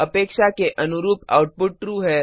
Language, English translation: Hindi, the output is True as expected